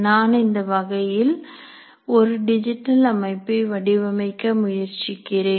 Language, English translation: Tamil, I am trying to look for designing digital systems of a certain kind